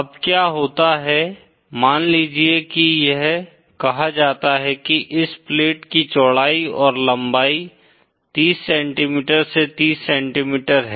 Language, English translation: Hindi, Now what happens is suppose this is let is say the width and length of this plate is 30 cm by 30 cm